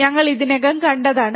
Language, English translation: Malayalam, That we have already seen